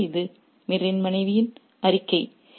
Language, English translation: Tamil, So, this is the statement by Mir's wife